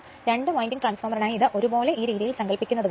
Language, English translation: Malayalam, For two winding transformer as if as if this is 1 as if this this way you imagine